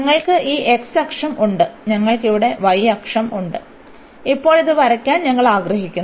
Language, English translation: Malayalam, We have this x axis and we have the y axis there and we want to now draw this